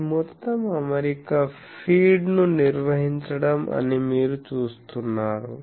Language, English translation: Telugu, You see this whole arrangement is to maintain the feed